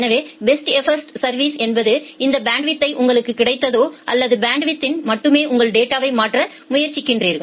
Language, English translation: Tamil, So, best effort service means that whatever bandwidth you get you try to transfer your data over that bandwidth only